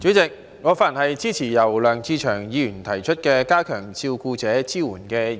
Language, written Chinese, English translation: Cantonese, 代理主席，我發言支持由梁志祥議員提出的"加強對照顧者的支援"議案。, Deputy President I speak in support of the Enhancing support for carers motion proposed by Mr LEUNG Che - cheung